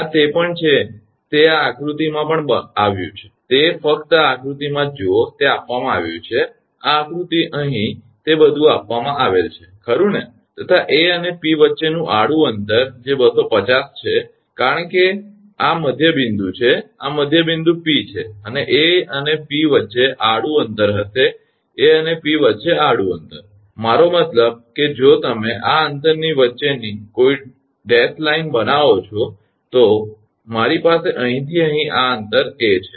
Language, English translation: Gujarati, This is also it is it is also given in this a diagram, it is just hold on in this diagram, it is given this is this is the diagram here it is given everything is given, right and horizontal distance between A and P that is 250, because it is midpoint this P is midpoint and horizontal distance will be between A and P will between A and P the horizontal distance, I mean if you if you make a dashed line that is between this distance I have this distance from here to A